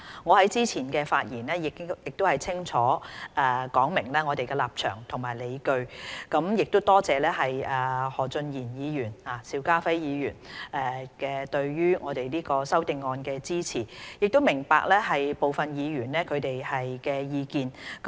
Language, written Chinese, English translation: Cantonese, 我在之前的發言中已清楚說明我們的立場及理據，並多謝何俊賢議員和邵家輝議員對《修訂規例》的支持，亦明白部分議員的意見。, I have clearly laid down our position and arguments in my previous speech . I thank Mr Steven HO and Mr SHIU Ka - fai for supporting the Regulations . And I appreciate the views expressed by some Members